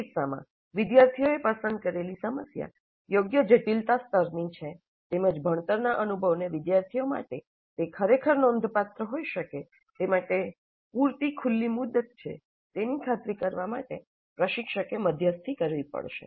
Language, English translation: Gujarati, Because in this case, instructor has to moderate to ensure that the problem selected by the students is of right complexity level as well as open and read enough to permit the learning experience to be really significant for the students